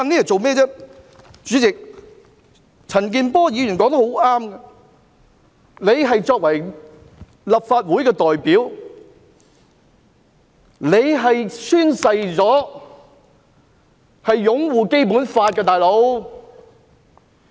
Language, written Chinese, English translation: Cantonese, 主席，陳健波議員說得很正確，他作為立法會代表，曾宣誓會擁護《基本法》。, President Mr CHAN Kin - por is right . As a representative of the legal sector in the Legislative Council Mr Dennis KWOK has sworn to uphold the Basic Law